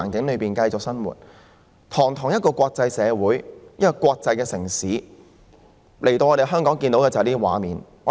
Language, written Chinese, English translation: Cantonese, 香港是一個國際城市，外地人來到香港，卻看到這些畫面。, Hong Kong is an international city . But people from other places have seen all this when they visit Hong Kong